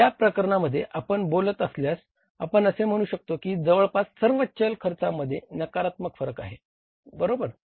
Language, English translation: Marathi, So, in this case if you talk about we can say that in the variable expenses almost everywhere there is a negative variance, right